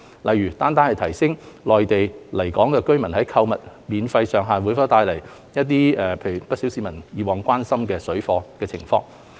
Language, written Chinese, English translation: Cantonese, 例如，單單提升內地來港人士在港的購物免稅上限會否帶來不少市民以往關心的水貨活動情況。, For example whether only raising the ceiling of the duty - free allowance for Mainland inbound travellers shopping activities in Hong Kong would lead to public concern in parallel trading activities as in the past